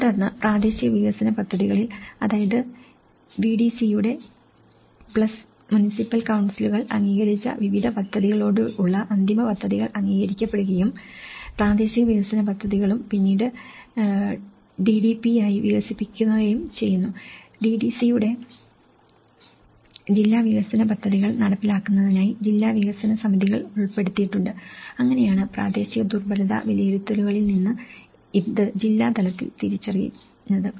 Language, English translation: Malayalam, And then these are agreed and the final plans with various endorsed by the respective VDC's plus municipal councils in the local development plans, this is where the local development plans and then these are further developed into DDP’s; DDC’s; district development committees for inclusion in to do district development plans so, this is how from a local vulnerability assessments, this has been identified at the district level aspect